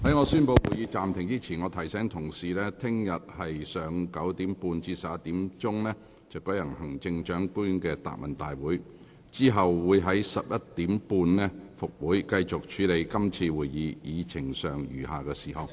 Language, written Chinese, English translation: Cantonese, 在我宣布會議暫停前，我提醒議員，本會明天上午9時30分至11時將會舉行行政長官答問會，然後將於上午11時30分恢復會議，繼續處理今次會議議程上餘下的事項。, Before I suspend the meeting I wish to remind Members that the Council will hold the Chief Executives Question and Answer Session tomorrow at 9col30 am to 11col00 am it will then resume the meeting at 11col30 am to continue with the items on the Agenda of the current meeting